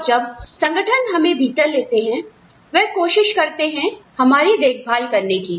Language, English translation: Hindi, And, when the organization takes us in, they try and look after us